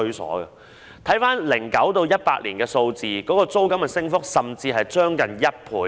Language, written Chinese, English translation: Cantonese, 根據2009年至2018年的數字，租金升幅甚至接近1倍。, According to the figures of the period from 2009 to 2018 the rate of rental increase has even almost doubled